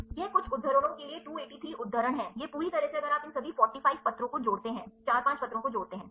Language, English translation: Hindi, This is 283 citations to some citations, it totally in a if you add up all these 4 5 papers right